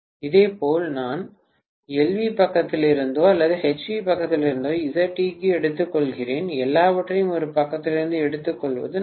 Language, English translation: Tamil, Similarly I take Z equivalent also from completely from the LV side or completely from the HV side, I better take everything from one side, this is equal to 0